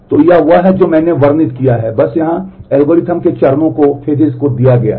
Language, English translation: Hindi, So, this is whatever I have described is simply given here in steps of algorithm